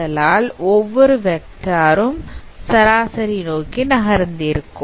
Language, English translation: Tamil, And you can see that every vector is translated towards mean